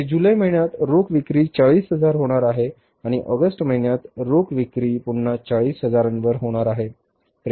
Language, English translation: Marathi, Here in the month of July the cash sales are going to be 40,000 and in the month of August the cash sales are going to be again 40,000